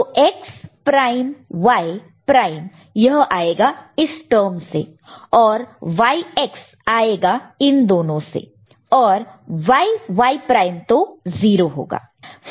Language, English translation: Hindi, So, X prime Y prime will come from this particular term first this thing and YX will be there from these two and YY prime will be 0, ok